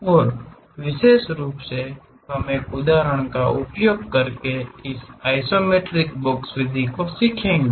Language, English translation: Hindi, And especially we will learn this isometric box method in using an example